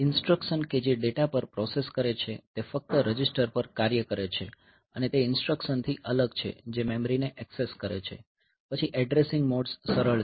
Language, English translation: Gujarati, So, instructions that process data operate only on registers and that separate from instruction that access memory, then addressing modes are simple ok